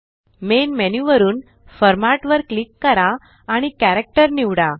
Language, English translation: Marathi, From the Main menu, click Format and select Character